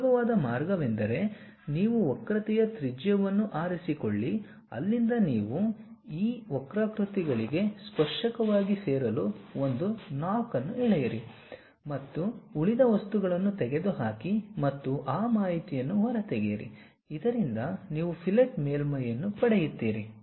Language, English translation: Kannada, The easiest way is, you pick a radius of curvature, a center from there you draw a knock to join as a tangent to these curves and remove the remaining material and extrude that information so that, you get a fillet surface